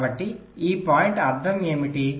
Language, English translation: Telugu, so what does this point mean